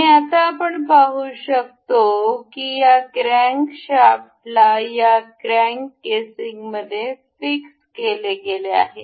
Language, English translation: Marathi, And by intuition, we can see that this crankshaft is supposed to be fixed into this crank uh casing